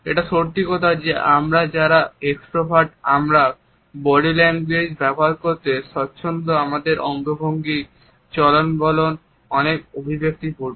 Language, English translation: Bengali, It is true that those of us who are extroverts use body language in a much more relaxed manner our gestures and postures would be more expressive